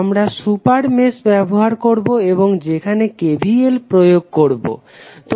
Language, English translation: Bengali, We will use the super mesh and apply KVL to that super mesh